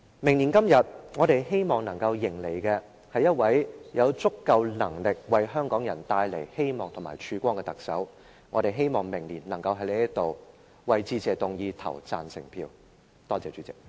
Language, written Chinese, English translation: Cantonese, 明年今天，我們希望能迎接一位有足夠能力為香港人帶來希望及曙光的特首，我們希望明年能夠在此就致謝議案投下贊成票。, We hope that same time next year we will greet a Chief Executive who has sufficient ability to bring hopes and light to the people of Hong Kong . We hope that we can vote in favour of the Motion of Thanks here next year